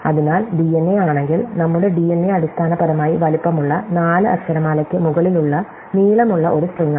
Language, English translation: Malayalam, So, if we look at our DNA, our DNA is basically a long string over an alphabet of size 4